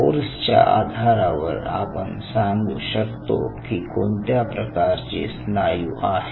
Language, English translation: Marathi, so based on the force, one can essentially figure out what kind of muscle it is